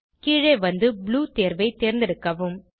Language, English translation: Tamil, Scroll down and click on Blue option